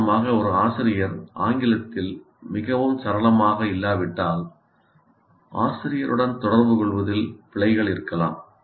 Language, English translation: Tamil, For example, if a teacher is not very fluent in English, there can be errors in communicating by the teacher